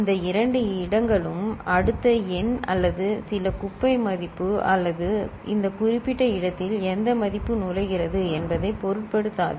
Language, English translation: Tamil, And these two places the next number or some junk value or would not care which value are entering in this particular place right